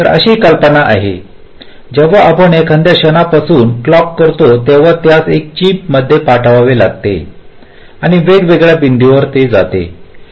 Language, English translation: Marathi, so the idea is that when we generate a clock from some point, it has to be sent or routed to the different points in a chip